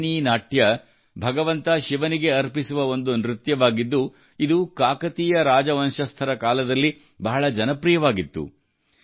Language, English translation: Kannada, Perini Natyam, a dance dedicated to Lord Shiva, was quite popular during the Kakatiya Dynasty